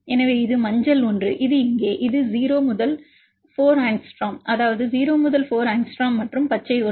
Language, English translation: Tamil, So, which is the yellow one, this one here this is 0 to 4 angstrom, that is 0 to 4 angstrom and the green one, you can see this is 4 to 8 angstrom